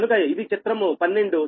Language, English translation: Telugu, this is figure twelve